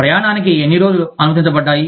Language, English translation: Telugu, How many days were permitted, for travel